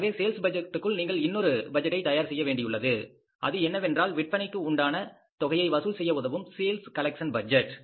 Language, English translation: Tamil, So, you have to prepare now the second budget within the sales budget that how to deal with the sales collection budget